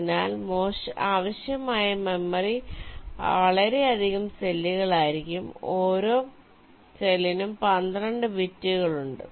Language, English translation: Malayalam, so the memory required will be so many cells, each cell with twelve bits